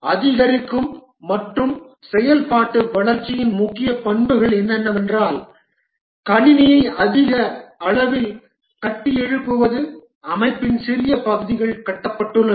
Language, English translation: Tamil, The key characteristics of the incremental and iterative development is that build the system incrementally, small parts of the system are built